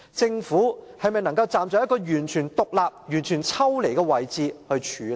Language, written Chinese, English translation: Cantonese, 政府能否站在一個完全獨立和抽離的位置來處理？, Will the Government take a fully independent and detached position to deal with this matter?